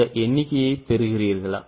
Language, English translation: Tamil, Are you getting this figure